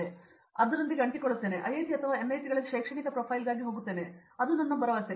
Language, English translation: Kannada, So, I still go stick with that, and I will go for an academic profile either in IITs or NITs that’s what my hope so